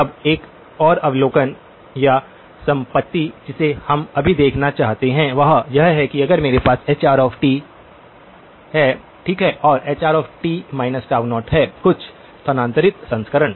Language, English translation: Hindi, Now, the another observation or property that we just want to observe is that if I have hr of t, okay and hr of t minus tau0; some shifted version